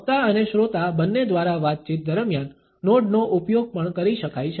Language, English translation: Gujarati, Nodding can also be used during a conversation both by the speaker and the listener